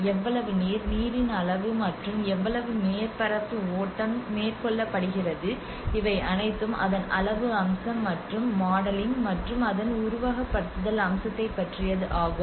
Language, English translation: Tamil, So you know so how much water volume of water and how much surface runoff is carried out, so this is all about the quantitative aspect of it and the modeling and the simulation aspect of it